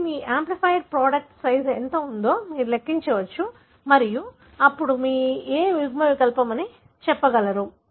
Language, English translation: Telugu, So, you can calculate what is the size of your amplified product and then you will be able to tell which allele